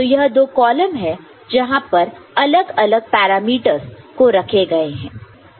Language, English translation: Hindi, So, these are the two columns where the different parameters have been put forward